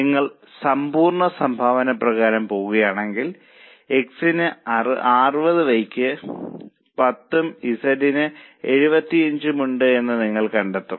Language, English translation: Malayalam, If you go by absolute contribution also, you will find that x has 60, y has 210 and z as 75